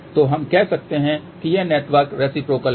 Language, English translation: Hindi, So, we can say that this network is reciprocal